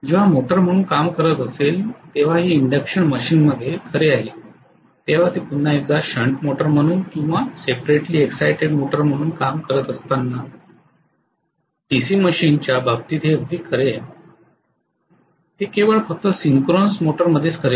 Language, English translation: Marathi, This is true in induction machine when it is working as the motor, this is very true in the case of DC machine when it is again working as a shunt motor or separately exited motor, this is not true only in synchronous motor